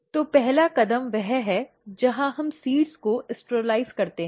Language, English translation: Hindi, So, the first step is where we sterilize the seeds